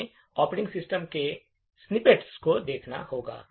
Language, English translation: Hindi, we have to look at snippets of the operating system